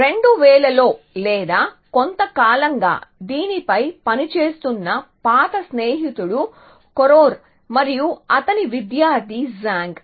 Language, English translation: Telugu, So, in 2000 or so Koror old friend who is been working on this for a while and his student Zhang